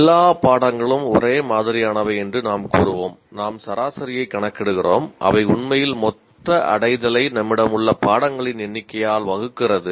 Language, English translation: Tamil, We'll just say all courses are similar and we just compute an average, divide the total attainment by the number of courses that we actually have